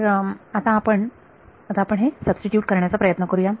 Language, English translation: Marathi, So, let us let us try to substitute this